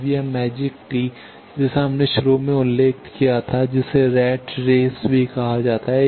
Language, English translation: Hindi, Now this magic tee what we mentioned initially that also is called Rat Race